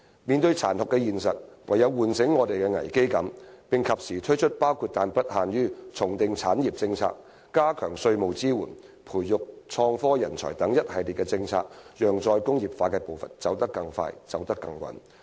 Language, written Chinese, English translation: Cantonese, 面對殘酷的現實，我們應有危機感，而政府應及時推出一系列措施，包括但不限於重訂產業政策、加強稅務支援，以及培育創科人才，讓"再工業化"的步伐走得更快，走得更穩。, In the face of this harsh reality we should have a sense of crisis and the Government should timely introduce a series of measures including but not limited to reformulating industry policies strengthening tax support and nurturing IT talent so that re - industrialization can proceed at a faster and steadier pace